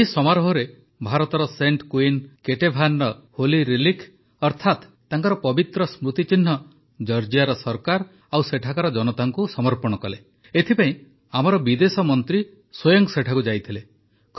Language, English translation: Odia, In this ceremony, India handed over the Holy Relic or icon of Saint Queen Ketevan to the Government of Georgia and the people there, for this mission our Foreign Minister himself went there